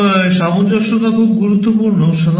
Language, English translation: Bengali, And compatibility is very important